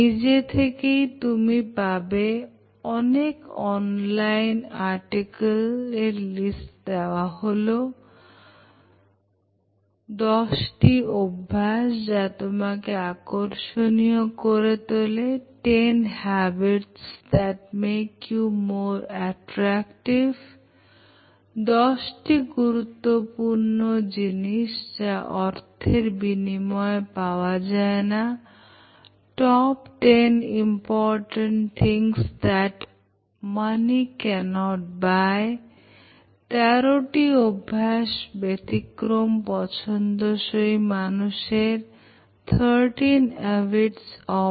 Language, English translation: Bengali, There are some interesting online articles which I have listed here, about Ten Habits That Make You More Attractive, Top Ten Important Things that Money Can’t Buy, Thirteen Habits of Exceptionally Likeable People